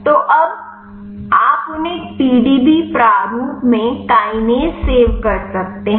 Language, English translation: Hindi, So, now, you can save them kinase in a PDB format